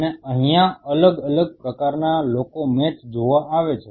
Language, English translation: Gujarati, And these are the different kind of people coming to an view the match